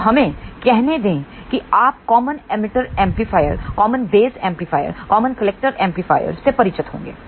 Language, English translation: Hindi, And you you must be familiar with let us say common emitter amplifier, common base amplifier, common collector amplifier